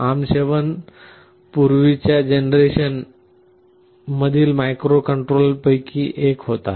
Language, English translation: Marathi, ARM7 was one of the previous generation microcontrollers